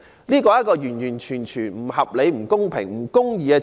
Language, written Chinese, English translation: Cantonese, 這是完完全全不合理、不公平及不公義的機制。, This arrangement is utterly unreasonable unfair and unjust